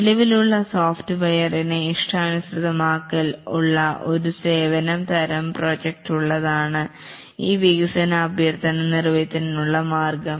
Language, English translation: Malayalam, And the only way this development request can be made is by having a services type of project where there is a customization of existing software